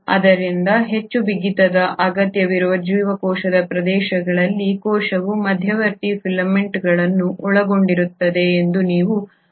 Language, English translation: Kannada, So in regions of the cell where there has to be much more rigidity required you will find that the cell consists of intermediary filaments